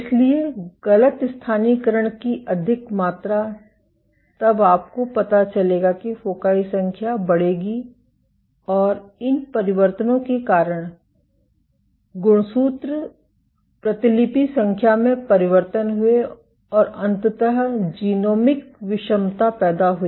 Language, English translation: Hindi, So, more amount of mis localization then you would find that the number foci will increase, and these changes led to changes in chromosome copy number and eventually led to genomic heterogeneity